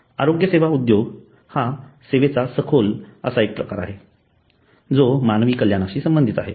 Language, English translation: Marathi, So healthcare industry is an intensive form of service which is related to human well being